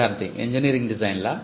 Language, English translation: Telugu, Student: Engineering designs